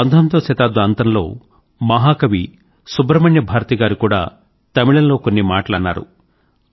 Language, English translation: Telugu, Towards the end of the 19th century, Mahakavi Great Poet Subramanya Bharati had said, and he had said in Tamil